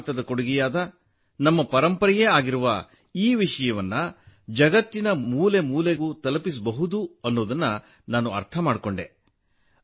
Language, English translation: Kannada, I understood that this subject, which is a gift of India, which is our heritage, can be taken to every corner of the world